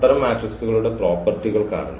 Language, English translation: Malayalam, Because of the nice properties of such of matrices